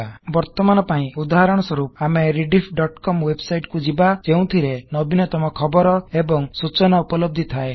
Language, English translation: Odia, For now, as an example, let us go to Rediff.com website that has the latest news and information